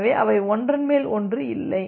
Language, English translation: Tamil, So, that they do not overlap with each other